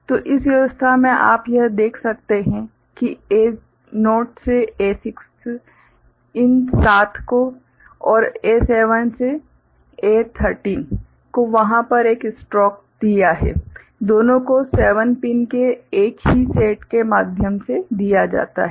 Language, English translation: Hindi, So, in this arrangement what you can see that A naught to A6 these 7, and A7 to A13 there is a stroke over there; both are fed through same set of 7 pins